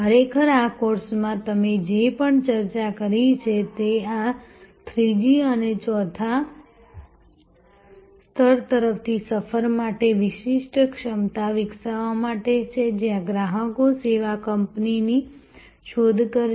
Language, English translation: Gujarati, Really in this course, everything that we have discussed is for the journey towards this 3rd and 4th level to develop distinctive competence, where customers will seek out the service company